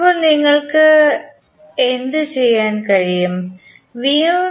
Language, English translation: Malayalam, Now, what you can do